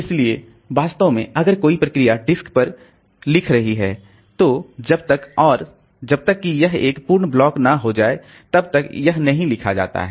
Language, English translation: Hindi, So actually if a process is writing onto the disk, so until and unless it becomes a full block, so it is not written